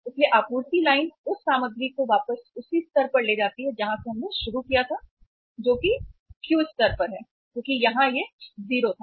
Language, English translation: Hindi, So supply line takes the material back to the same level from where we have started that is to the Q level because it was 0 here